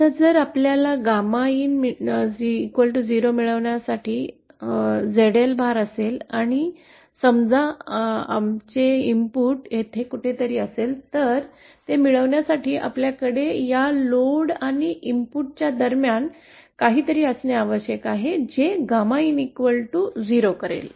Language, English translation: Marathi, Now if we have a load ZL for achieving gamma in and suppose our input is somewhere here then for achieving this we have to have something in between this load and the input which will create the gamma in equal to 0